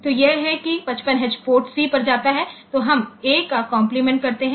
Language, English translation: Hindi, So, that is that 55H goes to the port C, then we complement a